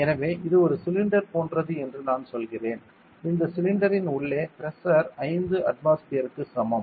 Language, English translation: Tamil, So, it is like a cylinder I say this cylinder has a pressure inside is equal to 5 atmospheres